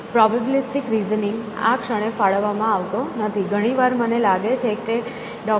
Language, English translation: Gujarati, Probabilistic reasoning is not being offered at this moment; very often I think Dr